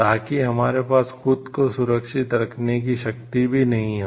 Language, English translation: Hindi, So, that we do not have the power to safeguard ourselves also